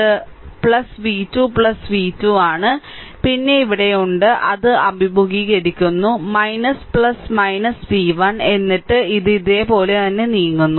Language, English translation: Malayalam, So, it is plus v 2 plus v 2, then here it is minus it is encountering minus plus minus v 1 right then it is moving like this